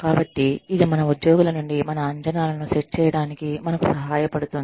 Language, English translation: Telugu, So, this helps us, set our expectations, from our employees